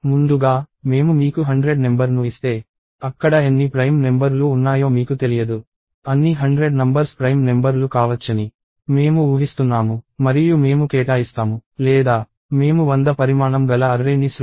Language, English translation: Telugu, So upfront, if I give you a number 100 you do not know how many prime numbers are there, I am assuming that all hundred could be prime numbers and I assign or I create an array of size hundred